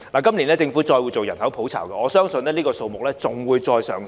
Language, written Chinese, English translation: Cantonese, 今年政府會再進行人口普查，我相信相關數字會持續上升。, The Government will conduct a population census again this year and I believe the relevant figures will continue to rise